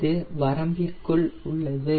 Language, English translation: Tamil, it is well within the range